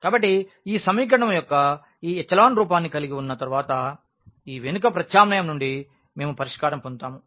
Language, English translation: Telugu, So, we get the solution out of this back substitution once we have this echelon form of the equation